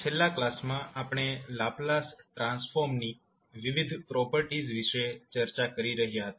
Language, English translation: Gujarati, In the last class, we were discussing about the various properties of Laplace transform